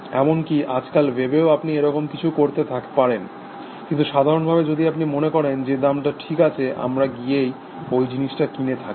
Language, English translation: Bengali, Even though on the web nowadays you can do that sort of a thing, but in general if you think that the price is reasonable, we go and buy this stuff essentially